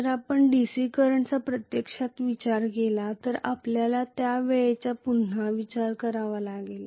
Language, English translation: Marathi, If you actually considered DC current you have to again consider the time constant there too